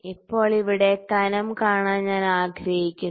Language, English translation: Malayalam, Now, I would like to see the thickness here